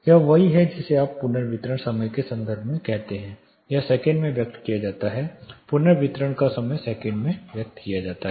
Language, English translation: Hindi, This is exactly what you call in terms of reverberation time it is expressed in seconds; reverberation time is expressed in seconds